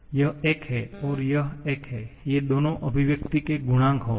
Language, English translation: Hindi, So, you know that these two will be the coefficients